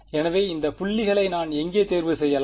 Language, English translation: Tamil, So, where can I choose these points